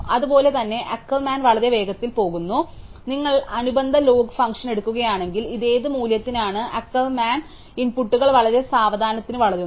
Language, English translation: Malayalam, So, similarly Ackermann goes very fast, so if you take what is the corresponding log function, for what value is this the Ackermann inputs it grows very slowly